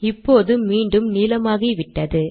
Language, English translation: Tamil, Now we are back in blue